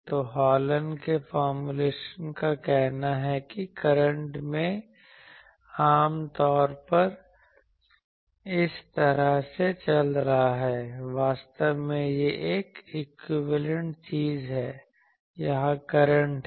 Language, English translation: Hindi, So, Hallen’s formulation says that current is typically going like this actually it is an equivalent thing there are currents here